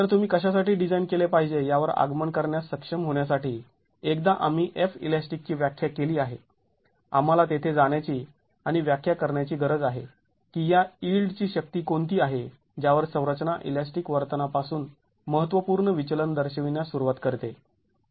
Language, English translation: Marathi, So to be able to arrive at what you should be designing for, once we have defined F , we need to go and define what is this yield force at which the structure starts showing significant deviation from elastic behavior